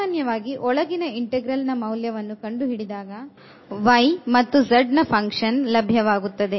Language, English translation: Kannada, So, in general the after evaluation of the inner integral we will get a function of y and z